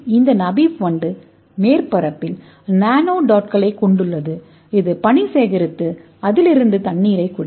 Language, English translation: Tamil, so this namib beetle has a nanodots on the surface it will collect the dew and it will drink the water from theat